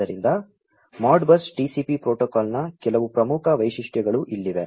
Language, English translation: Kannada, So, here are some of the salient features of the Modbus TCP protocol